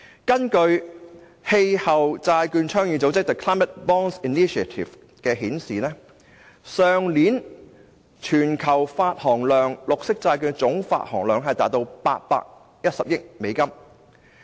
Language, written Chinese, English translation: Cantonese, 根據氣候債券倡議組織發表的數字，去年綠色債券的全球總發行量達810億美元。, According to the figures released by the Climate Bonds Initiative the total issue volume of green bonds worldwide was as large as US81 billion last year